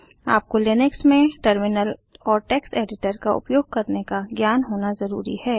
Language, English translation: Hindi, You must have knowledge of using Terminal and Text editor in Linux